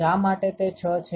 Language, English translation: Gujarati, Why is it 6